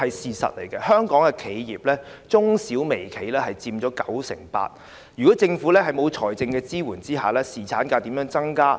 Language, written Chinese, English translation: Cantonese, 事實上，香港的企業、中小微企佔九成八，在政府沒有提供財政支援的情況下，侍產假該如何增加？, In fact 98 % of the enterprises in Hong Kong are small medium and micro enterprises . Without financial support from the Government how should the duration of paternity leave be increased?